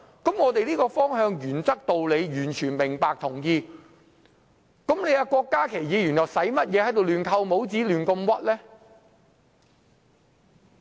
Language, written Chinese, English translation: Cantonese, 對於這個方向、原則和道理，我們完全明白和同意，郭家麒議員又何需亂扣帽子，胡亂冤枉別人呢？, Regarding the direction principles and reasoning we understand and agree . So why did Dr KWOK Ka - ki put words in our mouth and casually smear others?